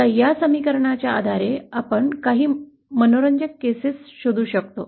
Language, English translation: Marathi, Now based on this equation, we can derive some interesting cases